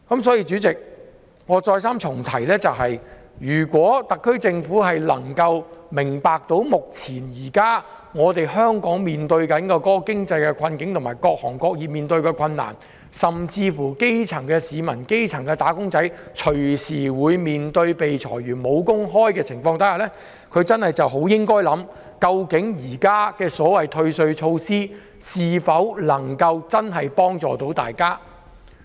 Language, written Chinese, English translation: Cantonese, 因此，主席，我再三重申，如果特區政府能夠明白目前香港面對的經濟困境及各行各業面對的困難，基層市民、"打工仔"隨時被裁員、面對失業，它真的應該想想，現時所謂的退稅措施能否真的可以幫助大家。, Hence Chairman let me say this again . If the SAR Government can understand the present economic hardship facing Hong Kong and the difficult situation besetting different sectors and industries and if it understands the fact that grass - roots citizens and workers may lose their jobs and become unemployed anytime it should consider whether this so - called tax concession measure can truly help them